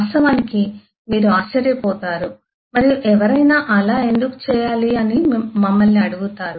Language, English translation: Telugu, i mean you would wonder and ask us to why should someone do that